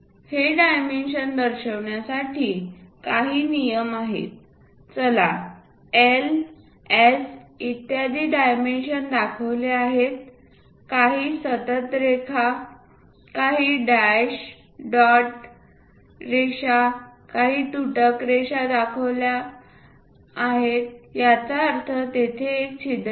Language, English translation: Marathi, Few rules to show these dimensions, let us look at a schematic where L, S and so on dimensions are shown some continuous line, some dash dot lines, some dashed lines that means, there is a hole